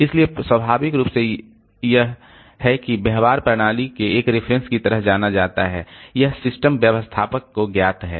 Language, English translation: Hindi, So, naturally there are, it's reference behavior is known to the system, known to the system administrator